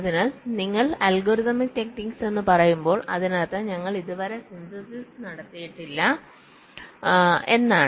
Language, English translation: Malayalam, so when you say algorithmic technique, it means that we have possibly not yet carried out the synthesis